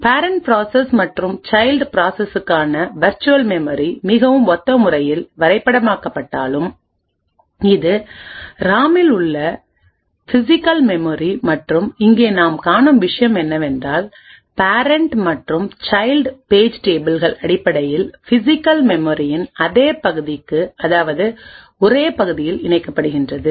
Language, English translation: Tamil, Although virtual addresses for parent process and the child process would get mapped in a very similar way, so this is the physical memory present in the RAM and what we see over here is that the page tables of the parent as well as the child would essentially map to the same regions in the physical memory